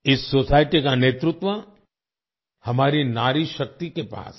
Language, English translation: Hindi, This society is led by our woman power